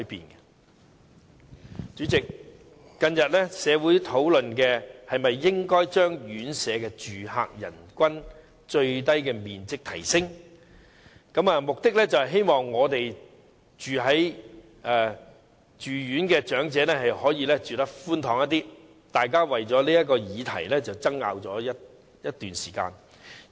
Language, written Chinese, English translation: Cantonese, 代理主席，社會近日討論應否提升院舍住客人均最低面積，目的是希望住院長者可以住得較寬敞，大家為此議題爭拗了好一段時間。, Deputy President these days the community is discussing the need to increase the area of floor space per resident in residential care homes for the elderly in the hope of enabling elderly people in such care homes to live in a more spacious environment . People have debated this topic for quite some time